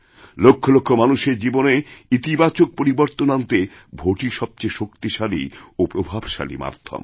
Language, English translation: Bengali, The vote is the most effective tool in bringing about a positive change in the lives of millions of people